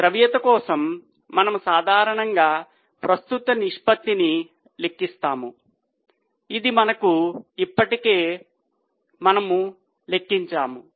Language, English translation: Telugu, We have seen that for liquidity we normally calculate current ratio which we have already calculated